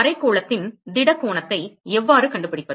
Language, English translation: Tamil, How do I find the solid angle of hemisphere